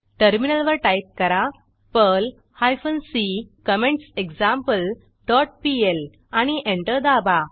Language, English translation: Marathi, On the Terminal, type perl hyphen c comments dot pl and press Enter